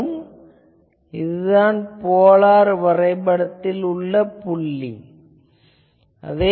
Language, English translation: Tamil, So, this is a point on the final polar plot